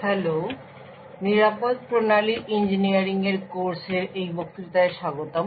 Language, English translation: Bengali, Hello and welcome to this lecture in a course for Secure Systems Engineering